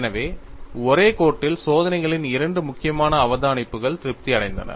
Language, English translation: Tamil, So, in 1 stroke, two important observations of experiments were satisfied